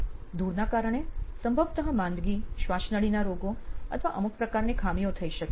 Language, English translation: Gujarati, Possibly dust can also cause illness, bronchial diseases or some sort of defects